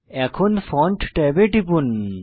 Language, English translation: Bengali, Click on Font tab